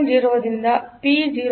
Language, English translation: Kannada, 0 to P0